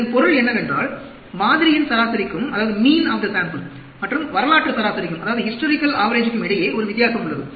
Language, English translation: Tamil, It means, a difference exists between the mean of the sample and the historical average